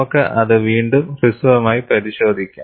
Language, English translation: Malayalam, We will again have a brief look at that